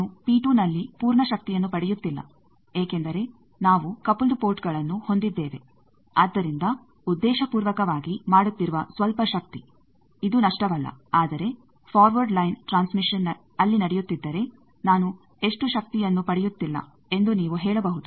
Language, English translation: Kannada, The full power I am not getting at P 2 that is because we are having coupled ports so some power we are deliberately doing, this is not loss but you can say that if the forward line transmission is going on there how much power I am not getting